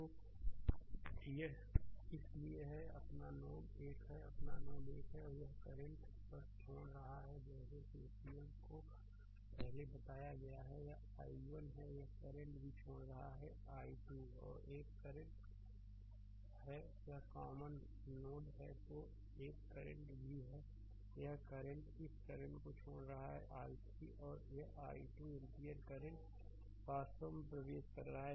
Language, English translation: Hindi, So, it is therefore, this is your node 1, this is your node 1 one current is leaving just putting like KCL ah the way we explained before, this is i 1 this current is also leaving this is i 2 right another current is there this is a common node